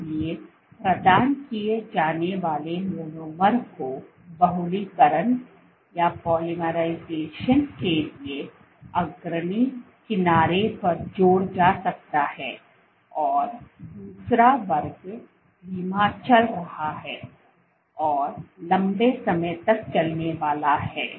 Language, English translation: Hindi, So, the monomers get provided they can get added at the leading edge leading to polymerization and the second class was slow moving and long lasting